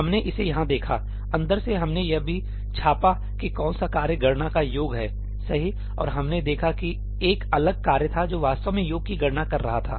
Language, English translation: Hindi, We saw this here, from inside also we printed which is the task computing the sum, right, and we saw that there was a different task which is actually computing the sum